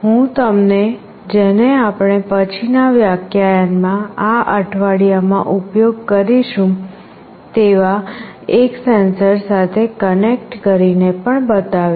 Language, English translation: Gujarati, I will be also showing you by connecting it with one of the sensors that we will be using in this week in a subsequent lecture